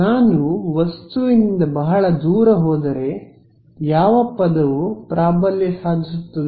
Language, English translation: Kannada, If I go very far away from the object, what term will dominate